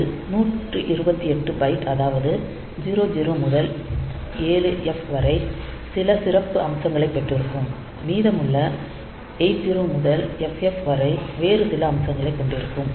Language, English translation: Tamil, So, out of that, 128 Byte that is 0 to 7F, we will have some special feature and remaining 80 to FF